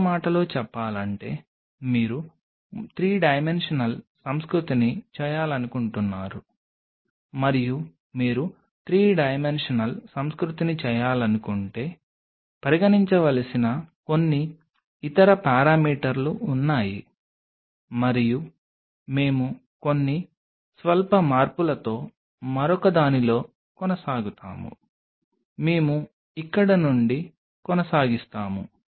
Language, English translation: Telugu, In other word you wanted to make a 3 dimensional culture and if you wanted to make a 3 dimensional culture then there are few other parameters which has to be considered and we will just continue in another with few slight changes we will continue from here